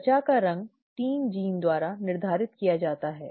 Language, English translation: Hindi, The skin colour is determined by 3 genes